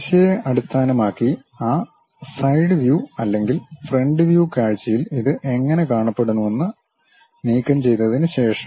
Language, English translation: Malayalam, After removing how it looks like in that side view or front view, based on the direction